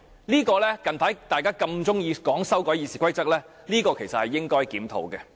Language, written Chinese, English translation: Cantonese, 大家近日那麼喜歡說要修改《議事規則》，這其實是應該檢討的問題。, Recently Members likes to talk so much about amending RoP . This is actually an issue which should be reviewed